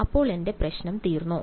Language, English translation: Malayalam, So, is my problem done